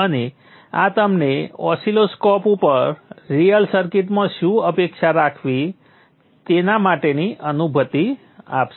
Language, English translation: Gujarati, Apart from with these values and this will give you a feel for what you what to expect in a real circuit on the oscilloscope